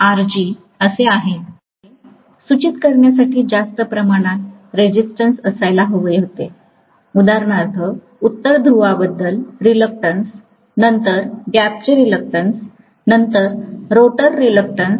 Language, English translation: Marathi, In fact, I should have had more number of resistances to indicate for example, the North pole reluctance, then the gap reluctance, then the rotor reluctance